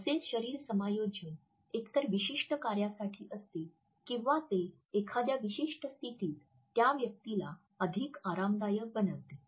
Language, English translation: Marathi, These body adjustments perform either a specific function or they tend to make a person more comfortable in a particular position